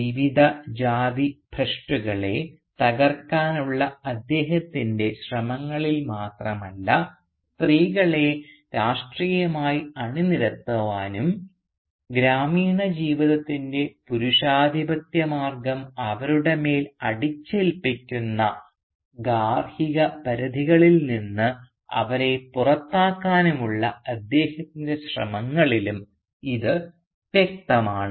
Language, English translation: Malayalam, And this is not only evident in his efforts to break the various caste taboos but also in his efforts to politically mobilise the women and bring them out of the domestic confines which the patriarchal way of the village life imposes on them